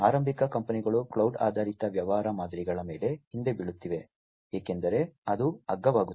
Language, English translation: Kannada, Startup companies are also falling back on the cloud based business models, because that becomes cheaper, that becomes cheaper